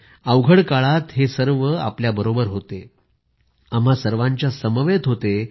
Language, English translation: Marathi, During the moment of crisis, they were with you; they stood by all of us